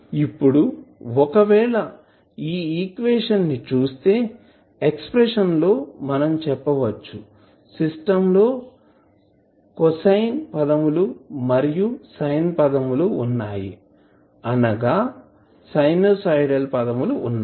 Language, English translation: Telugu, Now, if you see this equation the expression for it you will say that the system will have cosine terms and sine terms that is sinusoidal terms you will see plus exponential terms